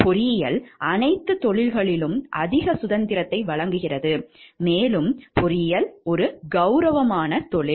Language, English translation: Tamil, Engineering provides the most freedom of all professions, and engineering is an honorable profession